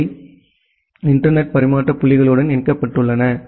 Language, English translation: Tamil, They are connected to with internet exchange points